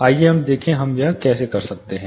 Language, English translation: Hindi, Let us look at how we do this